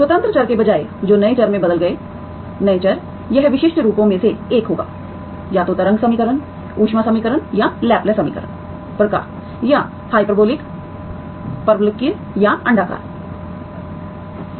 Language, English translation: Hindi, Instead of independent variables which changed to new variables, the new variables it will be one of the typical forms, either wave equation, heat equation or Laplace equation type or the, hyperbolic, parabolic or elliptic